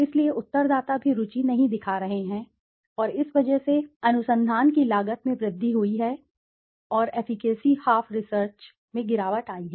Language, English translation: Hindi, So that is why respondents are also not showing interest and because of this, the cost of research has increased and the efficacy half research has declined